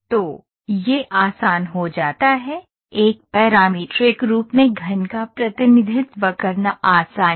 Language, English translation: Hindi, So, this becomes easier, representing a cube in a parametric form is easy